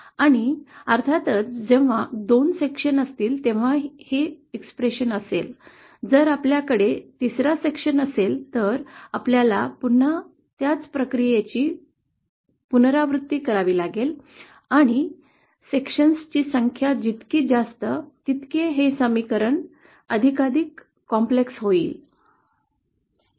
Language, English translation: Marathi, And of course this expression is only when there are 2 sections, if we suppose have a third section, then we have to again to the same process, we have to repeat the process for the third section, and the more the number of sections, this expression will become more & more complicated